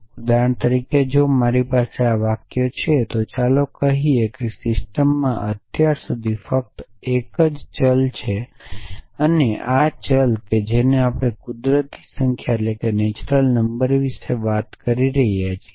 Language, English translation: Gujarati, So, for example, if I have a sentences so let us say that there is only one variable in a system so far, but and let us see we are talking about natural number